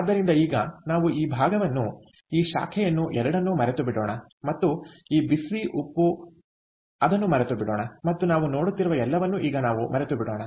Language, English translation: Kannada, so let us now forget this part, both this branch and this, whatever this hot salt and so on, whatever we are seeing, let us forget